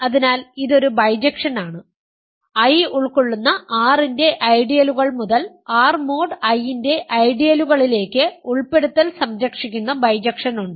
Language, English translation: Malayalam, So, this is a bijection, inclusion preserving bijection from ideals of R containing I to ideals of R mod I